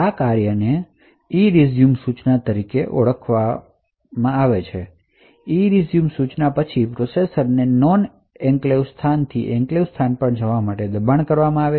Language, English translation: Gujarati, So, this function would then invoke something known as the ERESUME instruction and ERESUME instruction would then force the processor to move from the non enclave space to the enclave space